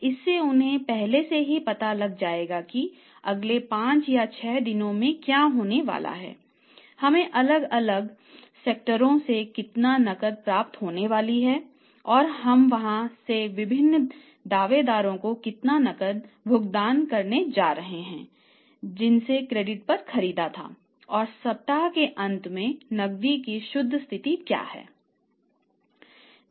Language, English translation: Hindi, The firms must prepare the weekly cash budgets regularly frequently so that they know in advance that what is going to happen in the next five or six days, how much cash we are going to receive from the different quarters and how much cash we are going to pay to the different claimants from where we have purchased on credit and what is going to be the net position of the cash at the end of the week